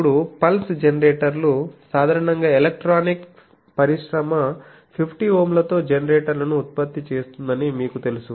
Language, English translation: Telugu, Now, pulse generators generally you know electronics industry produces generators with 50 Ohm